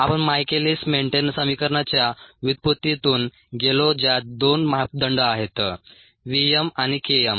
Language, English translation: Marathi, we went through the derivation of michaelis menten equation which has two parameters, v, m and k m ah in ah